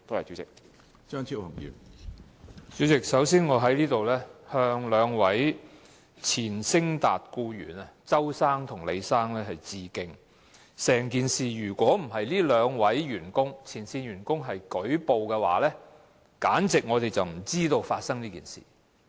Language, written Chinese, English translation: Cantonese, 主席，首先我要向昇達廢料處理有限公司兩名前僱員鄒先生和李先生致敬，如果不是這兩名前線員工舉報，我們根本不會知道這件事。, President first of all I would like to pay tribute to two former employees of SITA Waste Services Ltd Mr CHOW and Mr LEE . Had it not been for these two whistleblowers we would still be in the dark about the incident